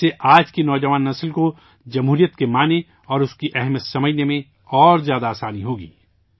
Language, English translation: Urdu, This will make it easier for today's young generation to understand the meaning and significance of democracy